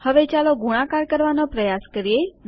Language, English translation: Gujarati, Now lets try multiplication